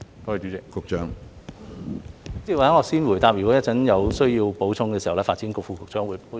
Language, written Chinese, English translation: Cantonese, 主席，或許我先回答，如果有需要，稍後再由發展局副局長補充。, President perhaps let me answer the question first and will the Under Secretary for Development please supplement if necessary